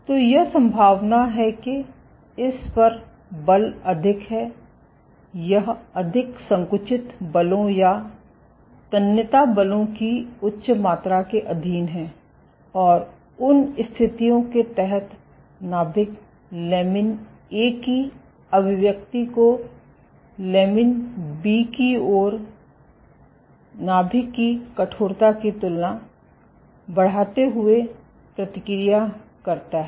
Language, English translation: Hindi, So, it is likely that the forces on it is higher, it is subjected to more compressive forces or higher amount of tensile forces and under those conditions the nucleus responds, by increasing its expression of lamin A compared to lamin B and the nucleus stiffens